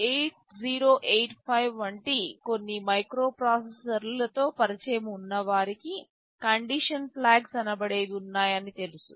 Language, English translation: Telugu, For those of you who are familiar with the some microprocessors like 8085, you will know that there are something called condition flags